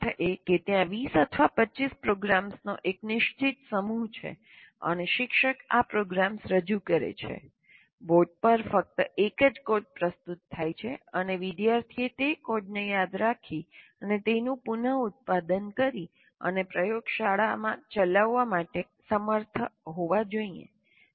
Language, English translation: Gujarati, That means the teacher presents one, some there are fixed set of programs 20 or 25, and the teacher presents these programs, only one set, one code is given, is presented presented on the board and the student should be able to remember that reproduce that code and run it in the laboratory